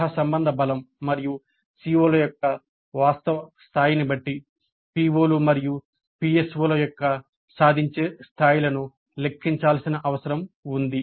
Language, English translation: Telugu, Depending upon the correlation strength and the actual level of attainment of the COs, the attainment levels of the POs and PSOs need to be computed